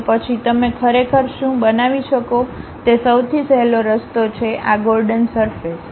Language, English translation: Gujarati, Then the easiest way what you can really construct is this Gordon surfaces